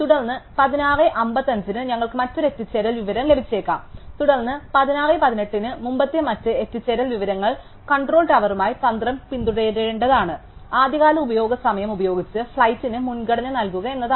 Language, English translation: Malayalam, And then, we might get another arrival information at 16:55, then other earlier arrival information at 16:18 and the strategy with the control tower is supposed to follow is to give priority to the flight with the earliest usage time